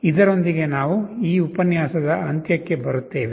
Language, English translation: Kannada, With this we come to the end of this lecture, thank you